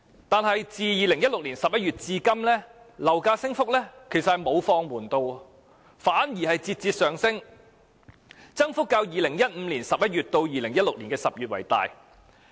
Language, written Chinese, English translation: Cantonese, 但是，自2016年11月至今，樓價升幅沒有放緩，反而節節上升，其間增幅較2015年11月至2016年10月的增幅更大。, However since November 2016 the rate of increase in property prices did not become milder . On the contrary it kept rising . The rate of increase during this period was even greater than that between November 2015 and October 2016